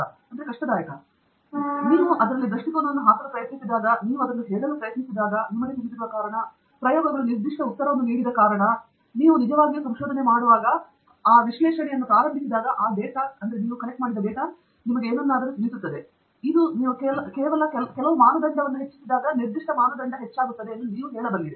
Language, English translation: Kannada, When you discuss it, when you try to put perspective into it, when you try to say that, you know, this is the reason why the experiments gave that particular answer, that is when you are sort of actually doing research, beginning to analyze that data, and convey something out of it, which is more than just simply saying that you know particular parameter increases when you an increase some other parameter